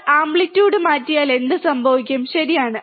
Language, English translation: Malayalam, But what happens if we change the amplitude, right